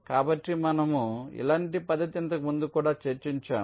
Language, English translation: Telugu, so similar method we have discussed earlier also